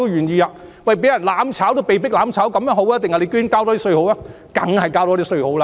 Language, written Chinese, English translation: Cantonese, 市民覺得被迫"攬炒"好，還是多交一點稅好呢？, Which is better to the people being forced to perish together or paying a little more in tax?